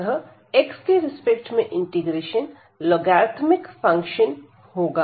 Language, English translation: Hindi, So, with respect to x this will be the logarithmic functions